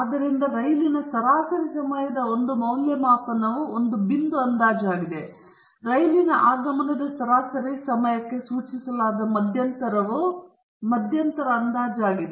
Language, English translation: Kannada, So, a single valued estimate of a train’s average time of arrival is a point estimate, whereas the interval specified on the average time of the train arrival is an interval estimate